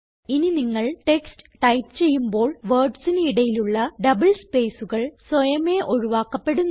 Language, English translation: Malayalam, The next text which you type doesnt allow you to have double spaces in between words automatically